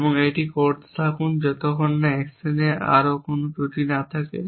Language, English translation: Bengali, And a keep doing that till there are no more flaws left in the action